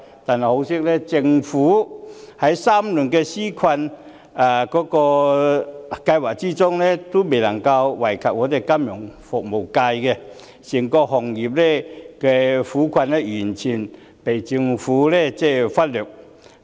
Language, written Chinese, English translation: Cantonese, 但很可惜，政府3輪紓困計劃也未能惠及金融服務業，整個行業的苦困完全被政府忽略。, It is highly unfortunate that the three rounds of relief programmes have not covered the financial services industry showing that its plight has been completed ignored by the Government